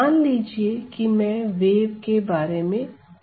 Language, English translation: Hindi, So, suppose I am talking about a wave